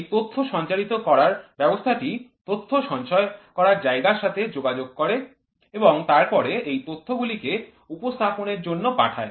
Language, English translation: Bengali, This Data Transmission System communicates to the data storage and then this signal is further sent to Data Presentation System